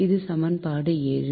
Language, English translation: Tamil, so this is equation seven